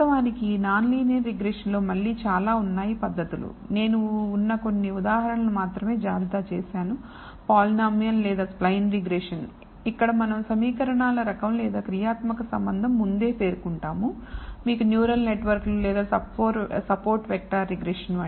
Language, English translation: Telugu, Of course, in non linear regression there is again a plethora of methods, I am only listed just a few examples you could have polynomial or spline regression, where the type of equations or functional relationship you specify a priori, you can have neural networks or today a support vector regression